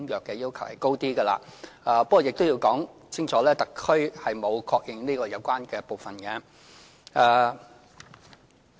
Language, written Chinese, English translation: Cantonese, 不過，我亦要清楚指出，特區政府並沒有確認有關的部分。, Nevertheless I have to point out clearly that the Special Administrative Region Government has registered no recognition of this part of the Convention